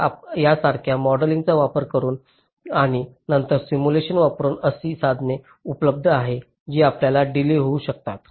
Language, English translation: Marathi, so so, using some modeling like this and then using simulation, there are tools available